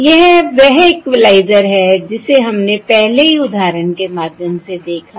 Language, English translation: Hindi, This is the equalizer that weíve already seen through the example